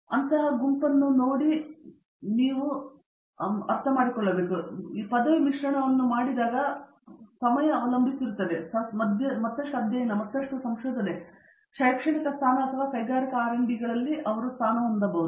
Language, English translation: Kannada, So depending on the group the topic that you do, as well as depending on the time when you graduate the mix of these 3 vary; further studies, further research, academic position or industrial R and D